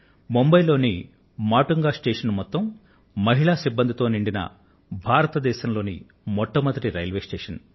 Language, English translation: Telugu, Matunga station in Mumbai is the first station in India which is run by an all woman staff